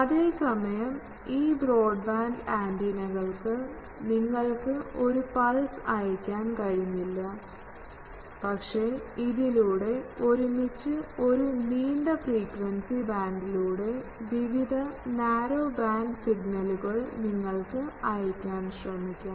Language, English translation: Malayalam, Whereas, these broadband antennas you could not send a pulse, but if you have various narrow band signals over a long frequency band you can try to send all of them together through these antenna